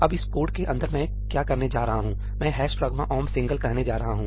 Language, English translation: Hindi, Now, inside this code what I am going to do is, I am going to say ëhash pragma omp singleí